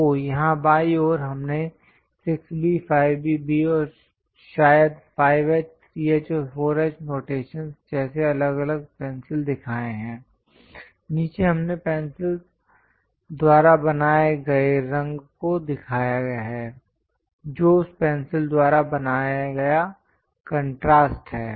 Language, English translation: Hindi, So, here on the left hand side, we have shown different pencils like 6B, 5B, B, maybe 5H, 3H, and 4H notations; below that we have shown the color made by the pencil, the contrast made by that pencil